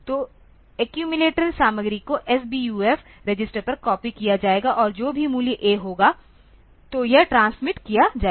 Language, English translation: Hindi, So, accumulators content accumulator content will be copied onto SBUF and whatever be the value A; so, that will be transmitted